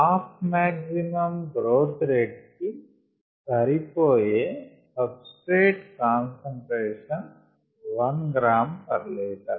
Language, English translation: Telugu, the substrate concentration that corresponds to the half maximal growth rate is one gram per liter